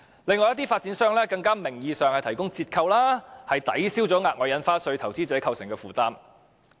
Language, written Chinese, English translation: Cantonese, 亦有發展商提供各種名義的折扣優惠，抵銷額外印花稅對投資者構成的負擔。, Some developers also offer discounts under various pretexts to offset the burden of the extra stamp duty on investors